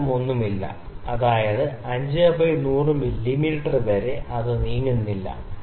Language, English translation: Malayalam, There is no movement, that is 5 by 100 mm, it does not move